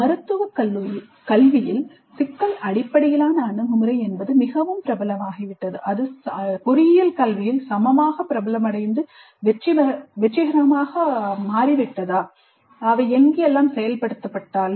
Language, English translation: Tamil, While in medical education problem based approach has become very popular, has it become equally popular and successful in engineering education wherever they have implemented